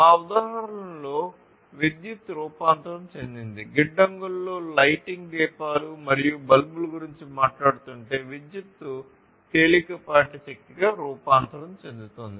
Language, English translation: Telugu, So, in our example, basically electricity is transformed let us say that if we are talking about you know lighting lamps and bulbs in the warehouses, then electricity is getting transformed into light energy, right